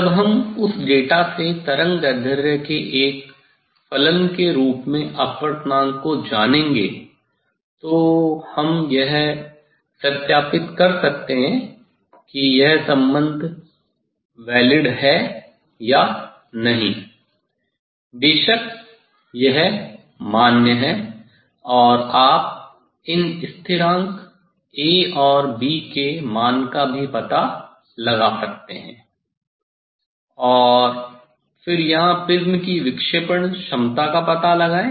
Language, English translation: Hindi, when will we know the refractive index as a function of wavelength from that data one, we can verify whether this relation is valid or not; of course, it is valid and also you can find out this constant A and B, And, then here find out the dispersive power of the prism